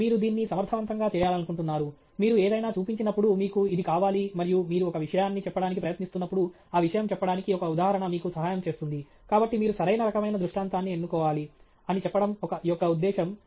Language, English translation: Telugu, You want to do this effectively; you want this when you show something and you are trying to make a point, the illustration should help you make that point; so, that is the purpose of saying that you need to select the right kind of illustration